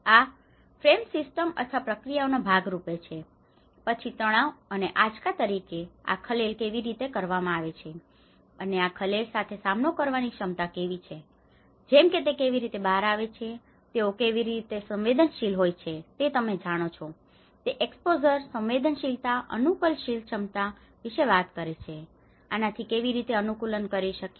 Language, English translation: Gujarati, These frames as a part of a system or a processes and then how the disturbance comes as a stress and the shocks and how the capacities to deal with these disturbance like how they are exposed, how they are sensitive you know it talks about exposure, sensitivity and the adaptive capacity, how they can adapt to this